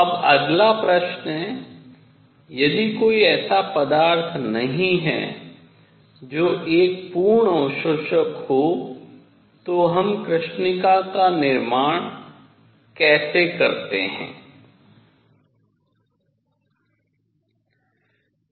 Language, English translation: Hindi, Now next question is; if there is no material that is a perfect absorber; how do we make a black body